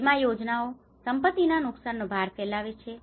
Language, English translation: Gujarati, Insurance schemes spread the burden of property losses